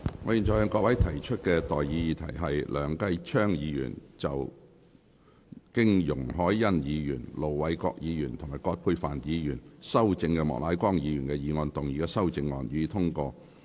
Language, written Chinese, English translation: Cantonese, 我現在向各位提出的待議議題是：梁繼昌議員就經容海恩議員、盧偉國議員及葛珮帆議員修正的莫乃光議員議案動議的修正案，予以通過。, I now propose the question to you and that is That Mr Kenneth LEUNGs amendment to Mr Charles Peter MOKs motion as amended by Ms YUNG Hoi - yan Ir Dr LO Wai - kwok and Dr Elizabeth QUAT be passed